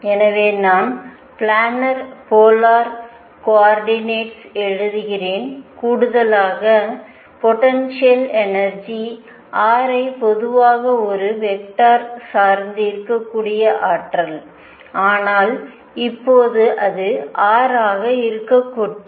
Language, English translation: Tamil, So, what I am writing in the planner polar coordinates and in addition the potential energy which may depend on r in general a vector, but right now let it be r